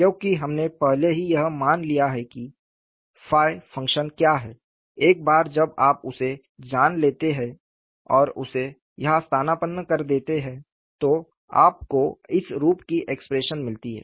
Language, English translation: Hindi, Because, we have already assumed what is the nature of the function phi; once you know that nature and substitute it here, you get an expression of this form